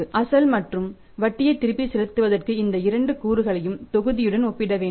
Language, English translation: Tamil, For repayment of the principal and interest both these components have to be compared with the numerator